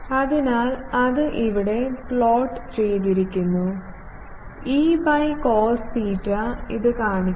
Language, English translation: Malayalam, So, that has been put plot here, E phi by cos theta and it shows like this